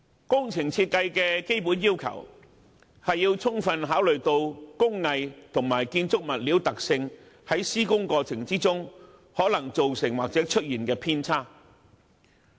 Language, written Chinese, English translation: Cantonese, 工程設計的基本要求，是要充分考慮工藝及建築物料的特性，在施工過程中有可能造成或出現的偏差。, The basic requirement of engineering design is to take into full consideration the possible changes or inconsistencies that may arise in respect of workmanship and quality specifications of materials during the construction processes